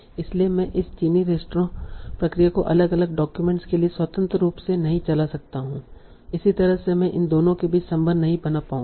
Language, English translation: Hindi, So I cannot run this Chinese restaurant process independently for different documents